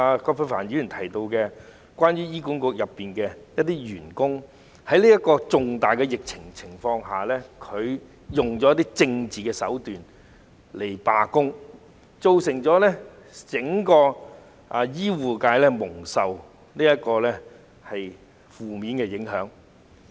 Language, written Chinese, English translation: Cantonese, 葛珮帆議員在主體質詢提到，有醫管局員工在這次重大疫情下，利用政治手段進行罷工，對整個醫護界造成負面影響。, Ms Elizabeth QUAT mentioned in the main question that some HA staff had resorted to political tactics to stage a strike during this major epidemic which had an adverse impact on the entire healthcare sector